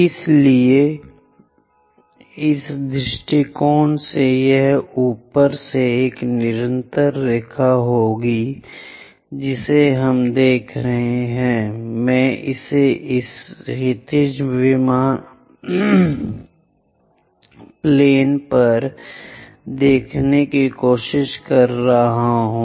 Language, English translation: Hindi, So, on this view it will be a continuous line from top we are looking, I am trying to show it on this horizontal plane